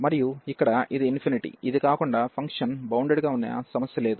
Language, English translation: Telugu, And here this is the infinity, other than this there is no problem the function is bounded